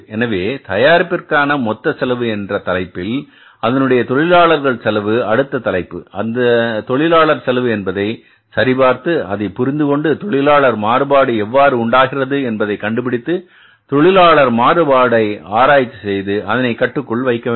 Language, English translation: Tamil, So, this is the next head of the total cost and this next head of the total cost of the product is the labor expenses and those labor expenses we will check up and we will try to understand that how to find out the labor variances, how to analyze the labor variances and how to control the labor variances